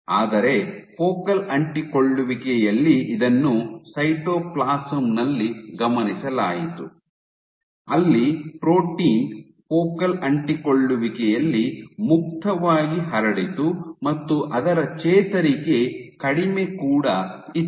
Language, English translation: Kannada, But at focal adhesions at focal this was observed in the cytoplasm where the protein was freely diffusing in focal adhesion it is recovery in what less ok